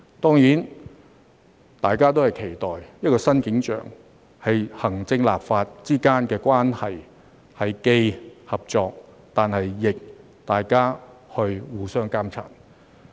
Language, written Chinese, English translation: Cantonese, 當然，大家都期待的一個新景象是，行政立法之間的關係既是合作，同時亦互相監察。, Of course all of us are looking forward to a new scenario in which the relationship between the executive and the legislature is one of cooperation and mutual monitoring